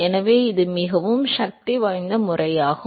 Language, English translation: Tamil, So, that is a very very powerful method